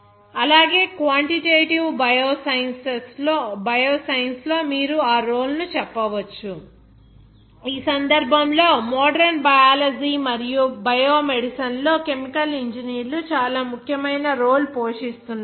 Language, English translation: Telugu, Also, you can say that role in quantitative bioscience; In this case, chemical engineers are playing an increasingly important role in modern biology and biomedicine